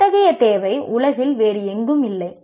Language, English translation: Tamil, Such a requirement doesn't exist anywhere else in the world